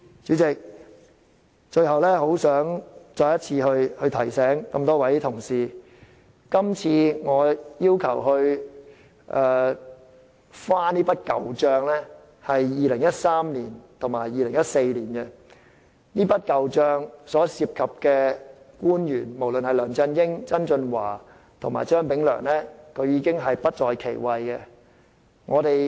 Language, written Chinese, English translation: Cantonese, 主席，最後，我很想再次提醒各位同事，今次我要求翻這筆舊帳是2013年和2014年的事，所涉及的官員，包括梁振英、曾俊華和張炳良，均已不在其位。, President lastly I would like to remind colleagues once again that I am raking up incidents that happened in 2013 and 2014 and the officials involved including LEUNG Chun - ying John TSANG and Anthony CHEUNG have already departed